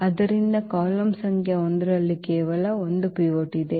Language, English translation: Kannada, So, there is only one pivot that is in the column number 1